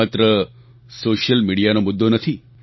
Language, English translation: Gujarati, This is not only an issue of social media